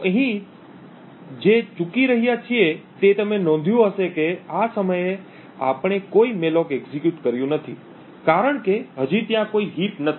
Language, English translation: Gujarati, So what is missing here you would notice is that at this particular time since we have not execute any malloc as yet there is no heap that is present